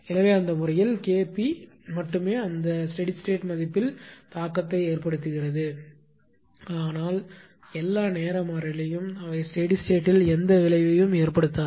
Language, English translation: Tamil, So, in that case only K p has it effects on that steady state value, but all time constant they do not have any effect on the steady state only during transient this has the effect right